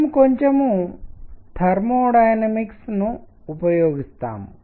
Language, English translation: Telugu, We use a little bit of thermodynamics, right